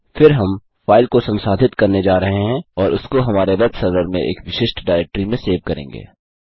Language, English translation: Hindi, Then we are going to process the file and save it in a specific directory on our web server